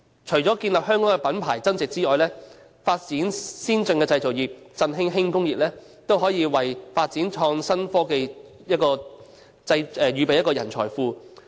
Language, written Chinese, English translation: Cantonese, 除了建立香港的品牌增值外，發展先進的製造業以振興本地輕工業，都可以為發展創新科技預備一個人才庫。, Besides adding value to the Hong Kong brand name the development of advanced manufacturing industries and re - vitalization of local light industries can also help Hong Kong to build up a talents pool for the development of innovative technologies